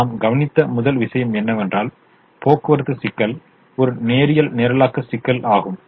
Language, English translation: Tamil, but we have also seen that this transportation problem is a linear programming problem